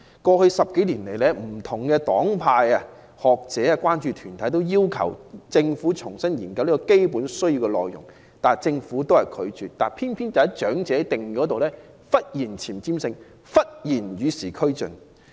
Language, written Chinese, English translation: Cantonese, 過去10多年來，不同黨派、學者、關注團體均要求政府重新研究"基本需要"的內容，但政府一直拒絕，偏偏在長者定義方面，政府卻忽然有前瞻性、忽然與時俱進。, In the past decade or so various political parties and groupings academics and concern groups have requested the Government to review the items included in basic needs but the Government simply rejected these requests . Yet in the definition of the elderly the Government has suddenly become forward - looking and trying to keep abreast of the times